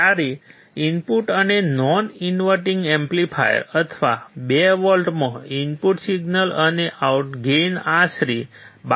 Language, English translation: Gujarati, When the input signal in inverting and non inverting amplifier, or 2 volts and the gain was about 12